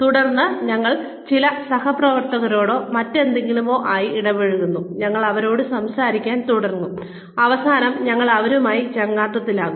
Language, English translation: Malayalam, And then, we bump into, you know, some colleagues or in other, and we do start talking to them, and we end up becoming friends with them